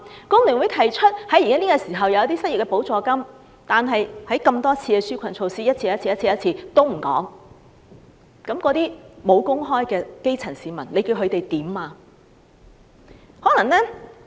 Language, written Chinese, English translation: Cantonese, 工聯會建議提供失業補助金，但多次公布紓困措施也不見這個安排，沒有工作的基層市民可以怎樣？, FTU suggests the provision of an unemployment grant which however has not been seen among the relief measures announced numerous times . What can the jobless grass roots do?